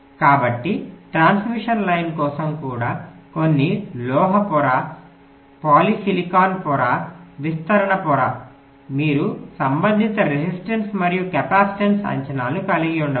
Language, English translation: Telugu, so even for transmission line, depending on which layer the line is running, whether some metal layer, polysilicon layer, diffusion layer, you can have the corresponding resistance and capacitance estimates